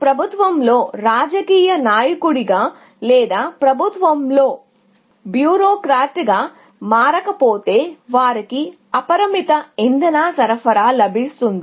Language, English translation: Telugu, Unless you happen to be a politician in the government or a bureaucrat in the government, who get apparently unlimited fuel supplies